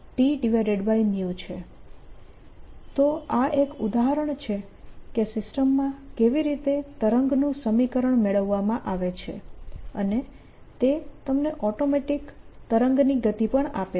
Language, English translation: Gujarati, so this one example how wave equation is obtain in a system and that automatically gives you the speed of wave